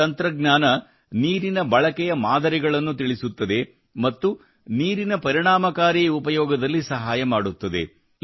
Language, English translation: Kannada, This technology will tell us about the patterns of water usage and will help in effective use of water